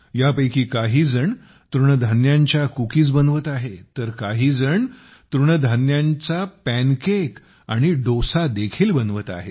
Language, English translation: Marathi, Some of these are making Millet Cookies, while some are also making Millet Pancakes and Dosa